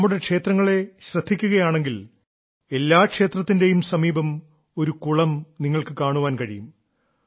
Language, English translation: Malayalam, If you take a look at our temples, you will find that every temple has a pond in the vicinity